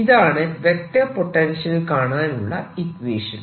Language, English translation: Malayalam, let us then directly use this to calculate the vector potential